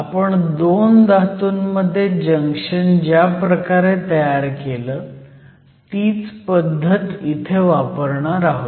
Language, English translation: Marathi, So, we will follow the same procedure that we used, when we form 2 junctions between metals